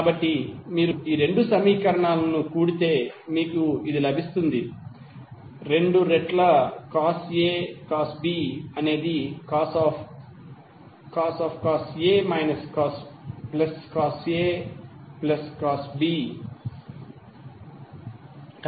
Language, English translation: Telugu, So if you sum up these two equations what you will get, two times cos A cos B is nothing but cos A minus B plus Cos A plus B